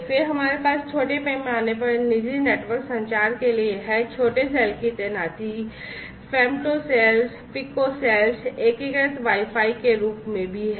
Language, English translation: Hindi, Then we have this you know for small scale private network communication, small cell deployments are also there in the form of you know femtocells, picocells, integrated Wi Fi and so on